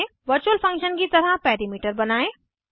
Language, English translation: Hindi, Create perimeter as a Virtual function